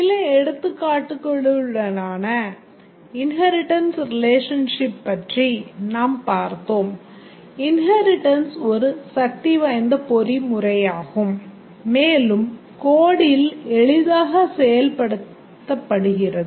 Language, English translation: Tamil, We looked at the inheritance relationship with some examples and we saw that inheritance is a powerful mechanism and also easily implemented in code